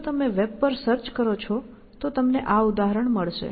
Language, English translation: Gujarati, If you just search on web, you will find this example